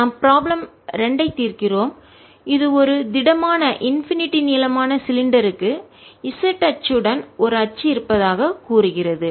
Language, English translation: Tamil, next we solve problem two, which says a solid, infinitely long cylinder has axis along the z axis